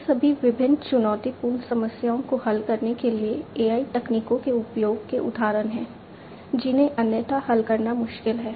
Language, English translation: Hindi, These are all examples of use of AI techniques to solve different challenging problems, which otherwise are difficult to solve